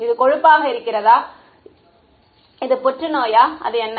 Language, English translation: Tamil, Is it fat, is it cancer, what is it